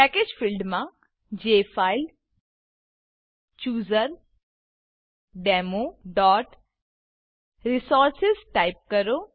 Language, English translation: Gujarati, In the Package field, type jfilechooserdemo.resources